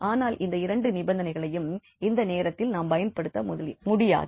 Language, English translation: Tamil, And now we can apply these two conditions which were not use so far